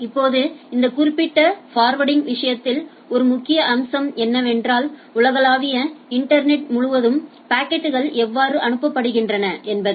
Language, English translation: Tamil, Now, one major aspects of this particular forwarding thing that, how the packet will be forwarded across the global internet, right